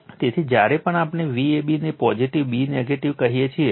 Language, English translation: Gujarati, So, whenever we say V a b a positive, b negative